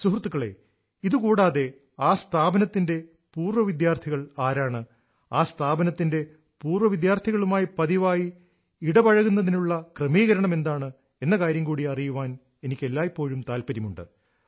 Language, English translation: Malayalam, besides this, I am always interested in knowing who the alumni of the institution are, what the arrangements by the institution for regular engagement with its alumni are,how vibrant their alumni network is